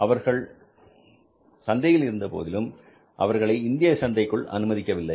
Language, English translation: Tamil, In India, they were not allowed to enter in the Indian market